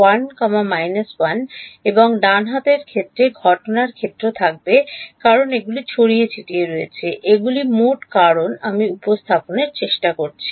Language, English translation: Bengali, 1, 1 and the right hand side will have incident field because these are scattered these are total because I am trying to represent